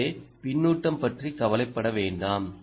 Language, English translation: Tamil, don't worry about the feedback